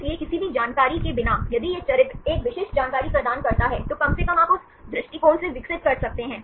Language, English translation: Hindi, So, without having any information, if this character provides a specific information, at least you can develop from that point of view